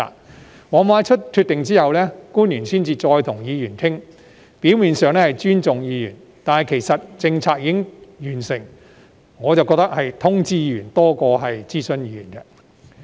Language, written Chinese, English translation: Cantonese, 官員往往在作出決定後才跟議員商討，表面上是尊重議員，但由於政策已經完成，我覺得是通知議員而非諮詢議員。, Government officials often hold discussions with Members only after a decision has been made . On the surface this is a sign of respect for Members but as the policy has already been formulated Members were only being informed rather than consulted